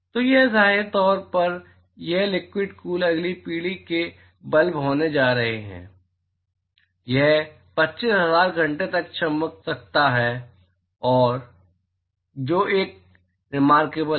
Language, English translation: Hindi, So, these, apparently these liquid cooled is going to be next generation bulb, it can glow for 25000 hours that is a remarkable